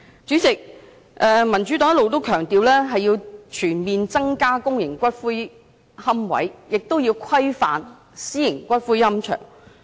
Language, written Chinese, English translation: Cantonese, 主席，民主黨一直強調，要全面增加公營骨灰龕位，亦要規範私營龕場。, Chairman the Democratic Party has all along stressed that the number of public niches must be increased across the board whereas private columbaria must be regulated